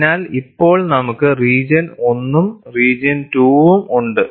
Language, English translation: Malayalam, So, now we have region 1 as well as region 2